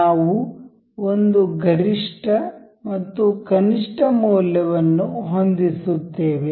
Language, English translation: Kannada, We will set we will set a value that is maximum and one is minimum